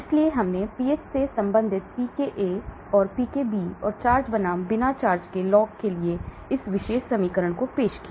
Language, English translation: Hindi, So we introduced this particular equation for pKa related to pH, pKb related to pH and log of charged versus uncharged